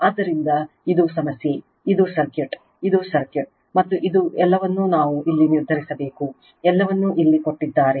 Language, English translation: Kannada, So, this is the problem, this is the circuit, this is the circuit, and this is the what we have to determine everything is given here right